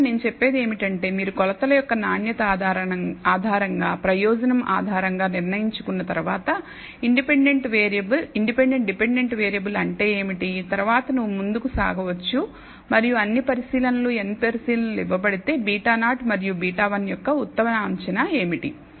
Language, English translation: Telugu, So, essentially what I am saying is that once you have decided based on purpose based on the kind of quality of the of the measurements, what is the independent dependent variable, then you can go ahead and say given all the observations n observations, what is the best estimate of beta 0 and beta 1